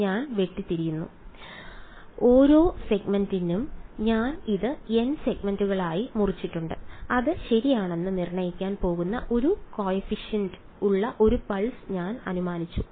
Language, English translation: Malayalam, I have chopped up; I have chopped up this into n segments for each segment I have assumed 1 pulse with a coefficient that is going to be determined ok